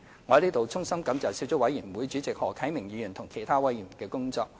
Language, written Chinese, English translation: Cantonese, 我在此衷心感謝小組委員會主席何啟明議員和其他委員的工作。, I would like to take this opportunity to give my heartfelt thanks to the Chairman of the Subcommittee Mr HO Kai - ming and other Subcommittee members for their efforts